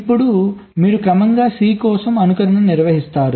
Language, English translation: Telugu, now you progressively carry out simulation for the c